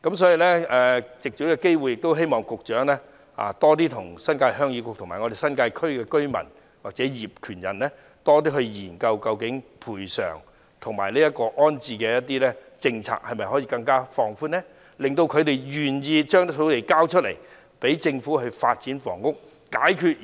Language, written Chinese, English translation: Cantonese, 所以，藉此機會希望局長與新界鄉議局及新界區居民或業權人多作研究，如何進一步放寬賠償及安置的政策，令他們願意交出土地予政府發展房屋，解決現時面對"房屋荒"的問題。, Hence I wish to take this opportunity to call on the Secretary to explore this subject with members of the New Territories Heung Yee Kuk the New Territories residents or land owners and see how to further lower the thresholds for compensation and relocation so that they will be willing to hand over their sites for the Government to develop housing and address the present housing scarcity